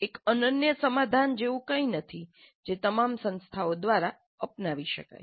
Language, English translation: Gujarati, There is nothing like one unique solution which can be adopted by all institutes